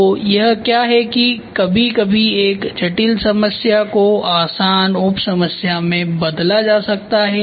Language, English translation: Hindi, So, that is what it is, sometimes a complex problem can be reduced into easier sub problems